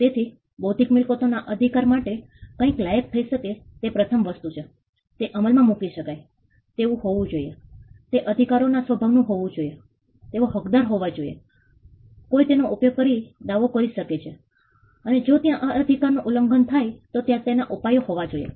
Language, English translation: Gujarati, So, that is the first thing for something to qualify as an intellectual property right it should be enforceable, it should be in the nature of a right they should be an entitlement some somebody can claim something used on it, and if there is a violation of that right there should be a remedy